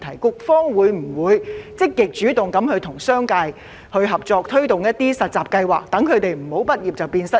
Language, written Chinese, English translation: Cantonese, 請問局方會否積極主動地與商界合作，推動實習計劃，以免畢業生"畢業變失業"？, Will the Bureau proactively cooperate with the business sector to promote internship programmes so that fresh graduates will not become unemployed upon graduation?